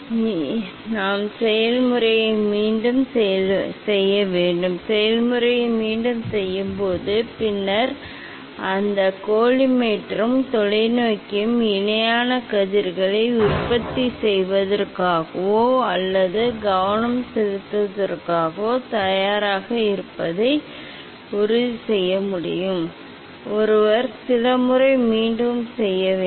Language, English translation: Tamil, This way we have to repeat the process, we have to repeat the process, then this we; it will this process this method will make sure that the collimator and the telescope are ready for handling the producing or focusing the parallel rays, one has to repeat few times